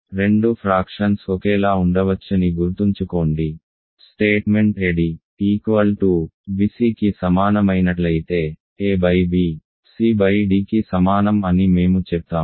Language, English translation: Telugu, Remember that two fractions can be same, we say that a by b can equal c by d, if a d is equal to bc